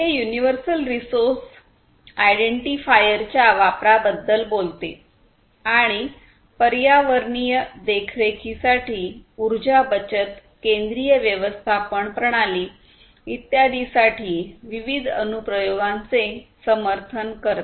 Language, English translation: Marathi, It talks about the use of resource universal resource identifiers and supports different applications for environmental monitoring, energy saving, central management systems, and so on